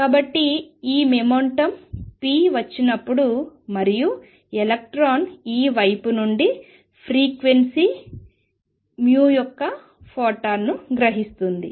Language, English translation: Telugu, So, when this momentum p is coming in and suppose the electron absorbs a photon of frequency nu from this side